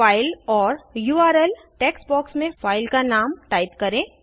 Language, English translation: Hindi, Type the file name in the File or URL text box